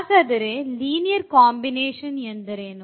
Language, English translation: Kannada, So, what is linear combination